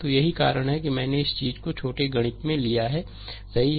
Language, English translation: Hindi, So, that is why I have taken this thing the small mathematics, right